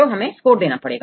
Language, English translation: Hindi, So, we need to give a score